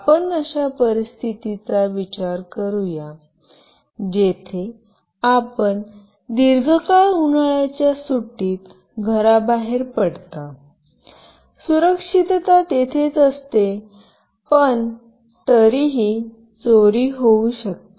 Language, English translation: Marathi, Let us think of a scenario, where you are out of your house during summer vacation for a long time, of course securities are there in places, but still theft may occur